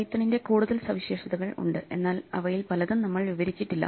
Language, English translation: Malayalam, So, instead of going into more features of Python of which there are many that we have not described